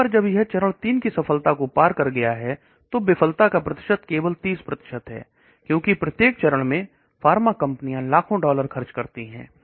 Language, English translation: Hindi, Once it has crossed phase 3 success the failure percentages is only 30%, because at each phase the pharma companies spend millions of dollars